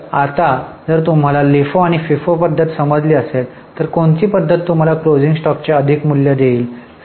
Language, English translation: Marathi, So now if you have understood understood LIFO and FIFO method, which method will give you more value of closing stock